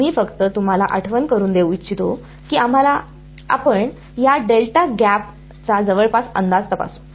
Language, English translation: Marathi, We just to remind you we had let us let us check this delta gap approximation right